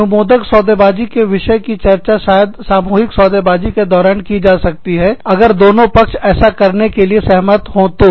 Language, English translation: Hindi, Permissive bargaining topics, may be discussed, during collective bargaining, if both parties, have agreed to do so